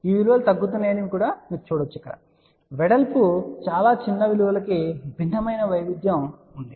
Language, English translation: Telugu, You can see that these values are decreasing of course, there is a little bit of a different variation for very small values of width